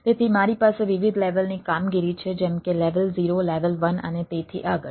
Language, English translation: Gujarati, so i have different level of operations like level zero, level one and so and so forth